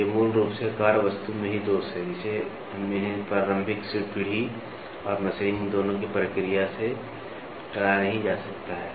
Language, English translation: Hindi, So, these are basically defects in the workpiece itself, we which cannot be avoided both by the process of initial generation and machining